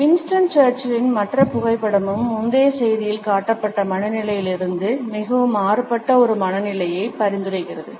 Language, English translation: Tamil, Other photograph of Winston Churchill also suggests a mood which is very different from the one displayed in the previous slide